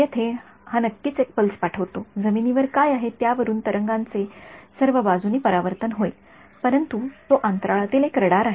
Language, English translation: Marathi, Here it sends a pulse of course, the wave is going to get reflected back in all directions depending on what is on the ground, but it is a radar in space